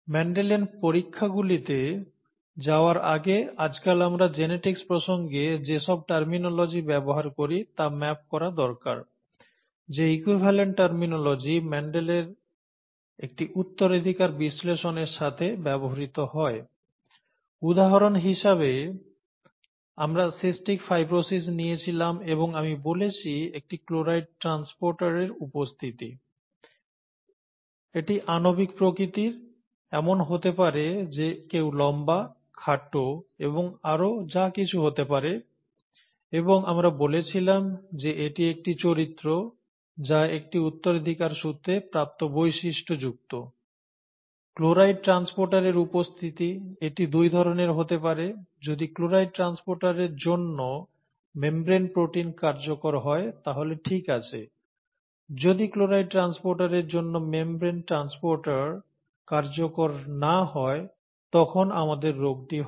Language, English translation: Bengali, Before we went into Mendel’s experiments, we needed to map whatever terminology that we use nowadays in the context of genetics to the equivalent terminology that goes with a Mendelian analysis of inheritance; for example, we had taken cystic fibrosis and we said presence of a chloride transporter, this is rather molecular in nature, it could be somebody being tall and short and so on so forth, that could also be and we said that this was a character which is an which was a heritable feature, and the presence of the chloride transporter, it could be of two kinds, if the membrane protein for chloride transporter is functional then it is fine; if the membrane transporter for chloride function, chloride transporter is not functional, then we get the disease